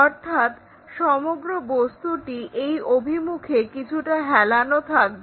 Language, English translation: Bengali, So, this entire object tilted in that direction